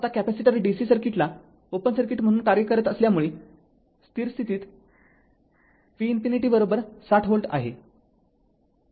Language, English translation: Marathi, Now, since the capacitor acts like an open circuit to dc, at the steady state V infinity is equal to 60 volt